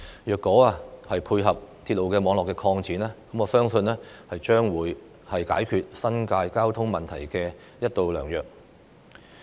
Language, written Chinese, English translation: Cantonese, 如果這條幹線能夠配合鐵路網絡的擴展，我相信將會是解決新界交通問題的一道良藥。, If this link can complement the extension of railway network I believe it will be a good solution to the traffic problem in the New Territories